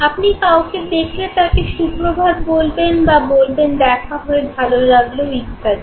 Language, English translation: Bengali, You meet somebody you say, good morning and you say nice meeting you okay